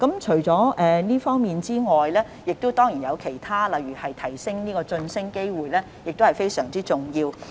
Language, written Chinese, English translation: Cantonese, 除了這方面外，當然也有其他措施，例如增加晉升機會亦同樣非常重要。, In addition there are other measures such as increasing promotion opportunities which is very important as well